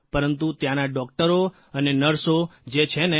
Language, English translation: Gujarati, But the doctors and nurses there…